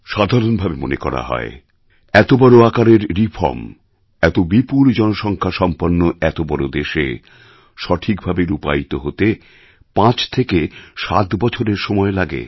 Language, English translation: Bengali, It is generally believed that such a big tax reform, in a huge country like ours with such a large population takes 5 to 7 years for effective adoption